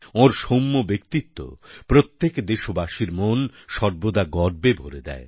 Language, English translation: Bengali, His mild persona always fills every Indian with a sense of pride